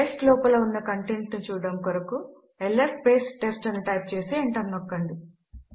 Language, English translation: Telugu, To see the contents inside test type ls test and press enter